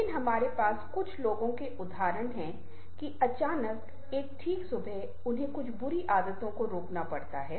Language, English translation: Hindi, but we do have the examples of people that all of a, suddenly, one fine morning, they have to stop doing certain things